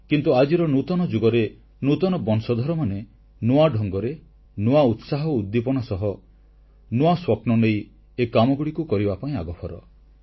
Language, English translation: Odia, But, in this new era, the new generation is coming forward in a new way with a fresh vigour and spirit to fulfill their new dream